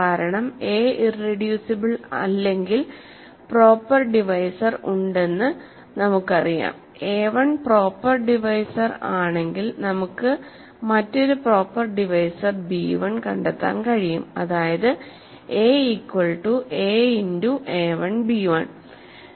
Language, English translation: Malayalam, Because, if a is not irreducible we know that there is a proper divisor, if a1 is a proper divisor we can find another proper divisor b1 such that a is a times a1 b 1